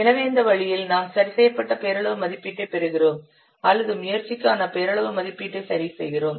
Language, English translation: Tamil, So in this way, so we are getting the adjusted nominal estimate or the we are adjusting the nominal estimate for the effort